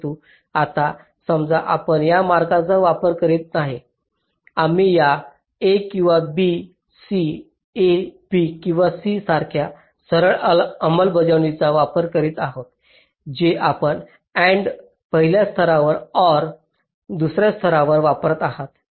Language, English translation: Marathi, we are using straight implementation like this: a or b, c, a, b or c, that is, you are using and in the first level or in the second level